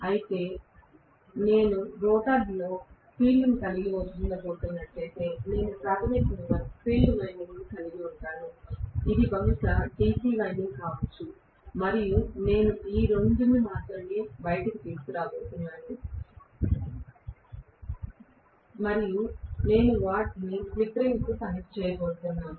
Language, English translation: Telugu, Whereas, if I am going to have field in the rotor, I will only have basically the field winding which is a DC winding probably and I am going to only bring out these 2 and then I am going to connect them to slip ring